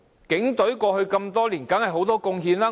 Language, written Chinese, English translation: Cantonese, 警隊過去多年當然有很多貢獻。, The Police have certainly made great contributions to society over the years